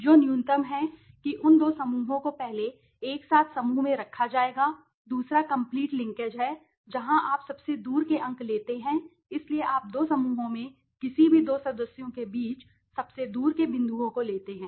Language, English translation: Hindi, The one which is the minimum that those two clusters will first to be group together right second is the complete linkage where you take the furthest points right so you take the furthest points maximum distance between any two members in the two clusters okay